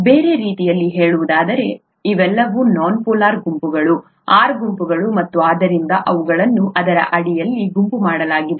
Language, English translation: Kannada, In other words, all these are nonpolar groups, the R groups and therefore they are grouped under this